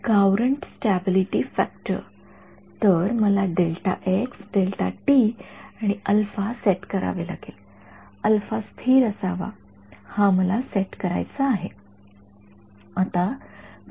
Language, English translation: Marathi, Courant stability factor right; so, I have to set delta x delta t and alpha right; alpha should be such that its stable right this is what I have to set